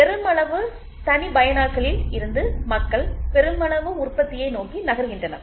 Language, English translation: Tamil, So, from mass customization people move towards mass production